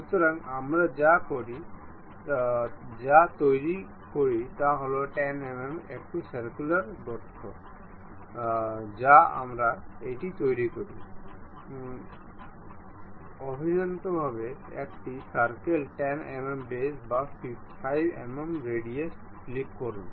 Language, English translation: Bengali, So, what we make is a circular hole of 10 mm we make it, internally circle 10 mm diameter or 5 mm radius click, ok